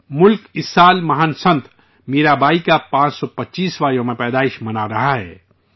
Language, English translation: Urdu, This year the country is celebrating the 525th birth anniversary of the great saint Mirabai